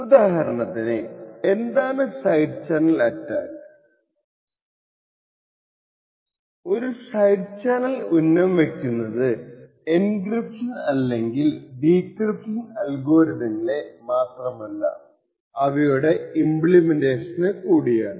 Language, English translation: Malayalam, So will take a small example of what a side channel attack is in a very abstract way, a side channel not only targets the algorithm that is used for encryption or decryption but also targets the implementation of that particular algorithm